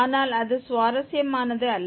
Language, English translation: Tamil, But that is not interesting